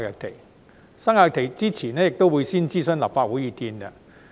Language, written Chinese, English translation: Cantonese, 決定生效日期前亦會先諮詢立法會意見。, In addition the Legislative Council will be consulted before the commencement date is fixed